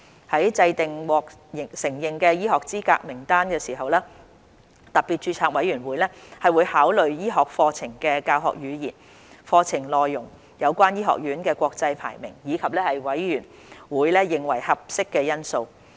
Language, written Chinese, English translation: Cantonese, 在制訂獲承認的醫學資格名單時，特別註冊委員會會考慮醫學課程的教學語言、課程內容，有關醫學院的國際排名，以及委員會認為合適的因素。, In determining the list of recognized medical qualifications SRC should take into account the medium of instruction and the curriculum of the medical programmes international rankings of the concerned medical schools and any other aspects that SRC deems appropriate